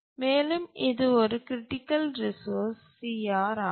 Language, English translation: Tamil, We'll call it as a critical resource CR